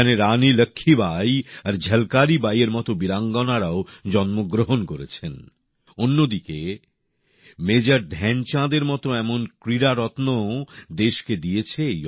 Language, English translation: Bengali, Veeranganas, brave hearts such as Rani Laxmibai and Jhalkaribai hailed from here…this region has given to the country legendary sports persons like Major Dhyanchand too